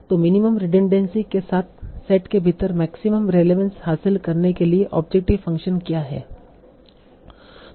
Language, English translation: Hindi, So what is this objective function trying to achieve maximum relevance within the set with the minimum redundancy